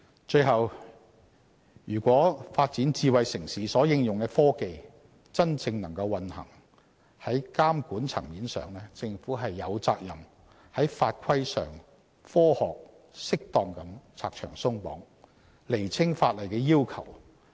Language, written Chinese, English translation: Cantonese, 最後，如果發展智慧城市所應用的科技能夠真正運行，在監管層面上，政府有責任在法規上科學、適當地拆牆鬆綁，釐清法律要求。, Lastly in terms of regulation if technologies applied to smart city development truly work it is incumbent upon the Government to scientifically and appropriately remove all restrictions and regulations and clarify the relevant legal requirements